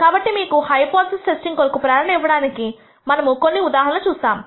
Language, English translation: Telugu, So, to give you some motivation for hypothesis testing we look at some cases